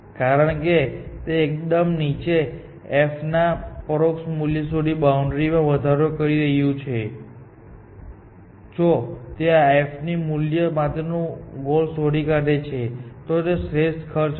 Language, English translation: Gujarati, So, because it is only incrementing the boundary to the lowest unseen f value, if it finds a goal of f that value, then it will be an optimal cost